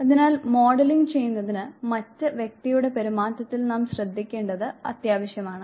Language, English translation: Malayalam, So, for modelling it is essential that we must attend to the behavior of the other person